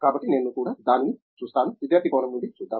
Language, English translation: Telugu, So, let me also look at it, let us say, looking at it from the student perspective